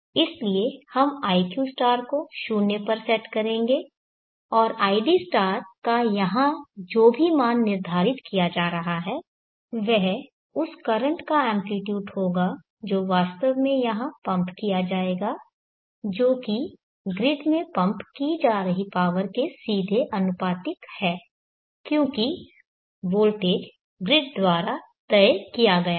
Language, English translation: Hindi, So we will set iq* to be 0 and id* whatever value that is being set here will be the amplitude of the current that will be actually pumped in here which is directly proportional to the power being pumped into the grid because the voltage is fixed by the grid